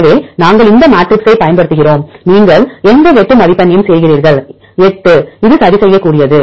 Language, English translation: Tamil, So, we use this matrix and you make any cutoff score 8 this is this can be adjustable